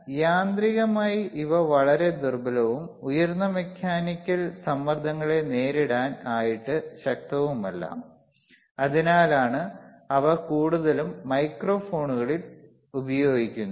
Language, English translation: Malayalam, So, mechanically they are very weak and not strong enough to withstand higher mechanical pressures, thatwhich is why they are mostly used in microphones, you see